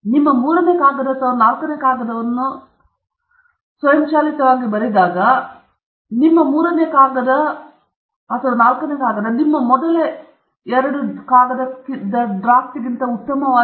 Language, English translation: Kannada, So, then, when you write your third paper or your fourth paper, automatically the first draft of your third paper or fourth paper ends up being much better than the first draft of your first paper or second paper okay